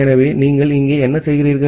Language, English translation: Tamil, So, what you are doing here that